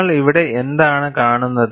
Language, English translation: Malayalam, And what do you see here